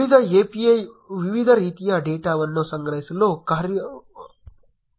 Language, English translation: Kannada, The rest API provides functionality to collect various kinds of data